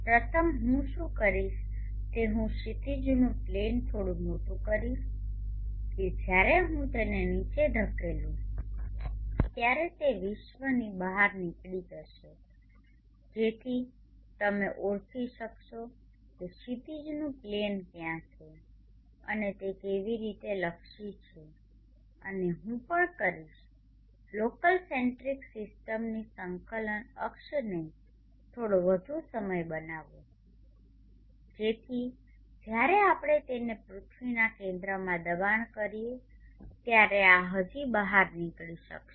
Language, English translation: Gujarati, First what I will do is I will make the horizon plane a bit bigger such that when I push it down it will stick out of the globe so that you will able to recognize where the horizon plane is and how it is oriented and also I will make the coordinate axis of the local centric system little longer so that when we push it down to the center of the earth this will still project out